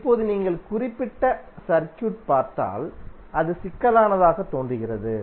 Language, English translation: Tamil, Now if you see this particular circuit, it looks complex